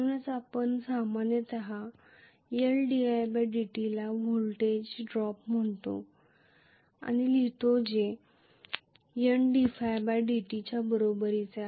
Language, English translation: Marathi, That is why we write generally L di by dt as the voltage drop which is also equal to N d phi by dt